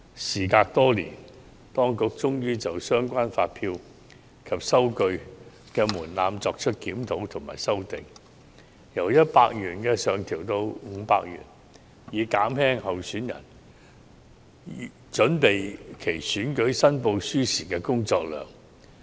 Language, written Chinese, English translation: Cantonese, 時隔多年，當局終於就相關發票及收據的門檻作出檢討和修訂，由100元上調至500元，以減輕候選人準備其選舉申報書時的工作量。, The authorities finally conduct a review many years later and propose to revise the threshold for submitting invoices and receipts from 100 to 500 to alleviate the workload of candidates in preparing election returns